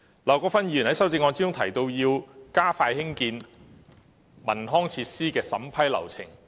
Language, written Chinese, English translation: Cantonese, 劉國勳議員在修正案中提出要加快興建文康設施的審批流程。, Mr LAU Kwok - fans amendment proposes to expedite the vetting and approval process of developing recreational facilities